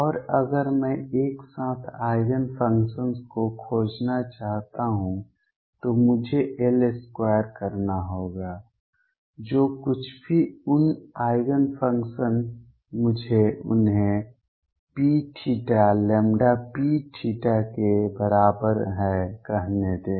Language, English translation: Hindi, And if I want to find the simultaneous Eigen functions, I got to do L square; whatever those Eigen functions are let me call them P theta is equal to lambda P theta